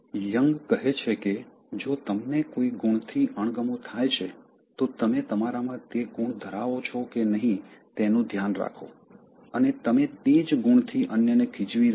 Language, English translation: Gujarati, So, Jung says that, if you are irritated by some quality, just be watchful whether you have that quality in you, and you are irritating others with that same quality